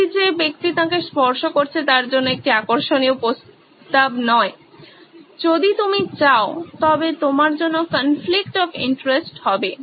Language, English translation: Bengali, That’s not an interesting proposition for the person who is touching him, a conflict of interest if you will